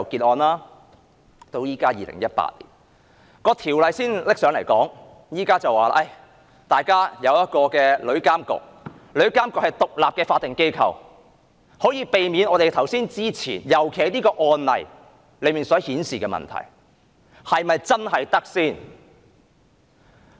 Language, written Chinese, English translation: Cantonese, 《條例草案》到2018年才提交立法會審議，建議成立旅監局，說那是獨立的法定機構，可以避免我們剛才所說的情況，特別是這宗案例所顯示的問題。, It was not until 2018 that the Government presented the Bill to the Legislative Council proposing to establish TIA . According to the Government TIA would be an independent statutory body and could avoid the situation mentioned earlier particularly the problems reflected in the case